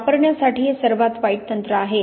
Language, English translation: Marathi, It is worst technique to use